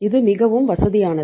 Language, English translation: Tamil, This is most comfortable